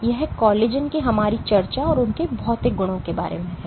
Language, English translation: Hindi, So, that is about it for our discussion of collagen and their material properties